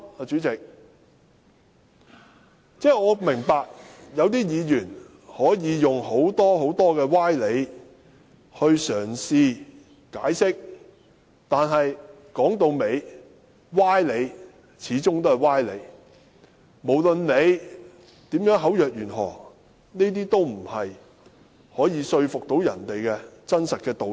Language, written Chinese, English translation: Cantonese, 主席，我明白有些議員可以用很多歪理嘗試解釋，但說到底，歪理始終是歪理，無論大家如何口若懸河，這些都不是可以說服別人的真理。, President I know some Members will resort to various specious arguments . But specious arguments are specious arguments and they cannot convince people despite all the elegance that seeks to present them as the truth